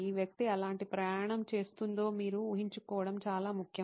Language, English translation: Telugu, This is important for you to visualize what kind of journey is this person going through